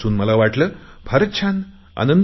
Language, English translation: Marathi, Reading this I felt elated